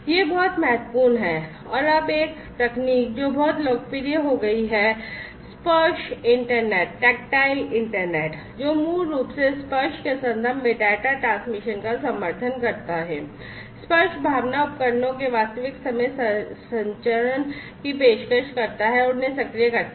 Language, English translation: Hindi, This is very important now a technology, which has become very popular is the tactile internet, which basically supports data transmission in the context of touch, offering real time transmission of touch sense devices and actuating them, right